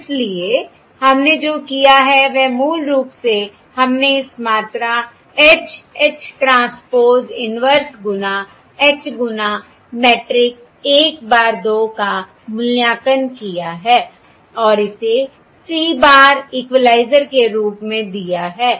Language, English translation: Hindi, So what we have done is basically we have evaluated this quantity H, H, transpose inverse times H into this vector 1 bar 2, and that is given as this equaliser C bar